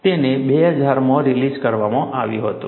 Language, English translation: Gujarati, It was released in 2000